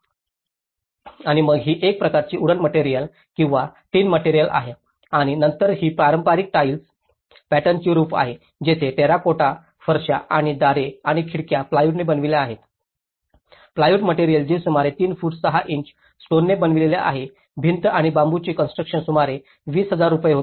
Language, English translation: Marathi, And then, this is a kind of wooden material or a tin material and then this is the traditional tile pattern roof where the terracotta tiles and the doors and windows are made with the plywood, the plywood material which is made about 3 feet 6 inches stone wall and this bamboo construction was about 20,000 rupees